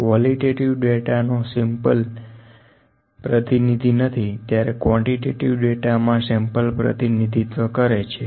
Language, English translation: Gujarati, The sample here in the qualitative data is a non representative, in the quantitative data the sample is representative